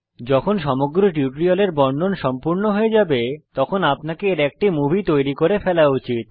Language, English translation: Bengali, Once the narration for the entire spoken tutorial is complete, you should create a movie